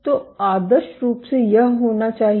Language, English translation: Hindi, So, ideally it should be